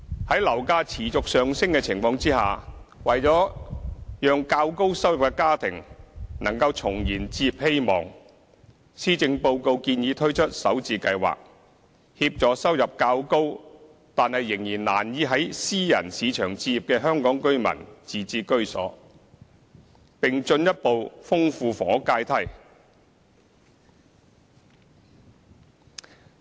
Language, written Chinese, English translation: Cantonese, 在樓價持續上升的情況下，為了讓較高收入的家庭能重燃置業希望，施政報告建議推出"港人首置上車盤"計劃，協助收入較高但仍難以在私人市場置業的香港居民自置居所，並進一步豐富房屋階梯。, In a bid to re - ignite the hopes of families with higher income to own a home in the face of hiking private property prices the Policy Address proposed to introduce Starter Homes to help Hong Kong residents with higher income but still finding it hard to buy a home in the private market to become home owners and further enrich the housing ladder